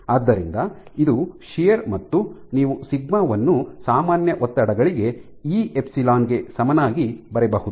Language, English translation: Kannada, So, this is shear you can write sigma is equal to E epsilon for normal stresses